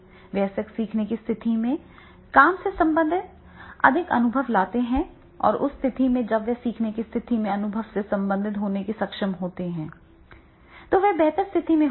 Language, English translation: Hindi, Adults bring more work related experiences into the learning situation and then in that case if they are able to be related experience into the learning situations, they will be in a better status